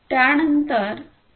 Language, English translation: Marathi, It is based on the 802